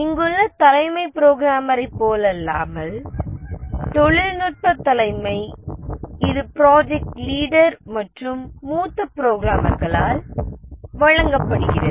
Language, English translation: Tamil, The technical leadership, unlike the chief programmer, here it is given by the project leader and the senior programmers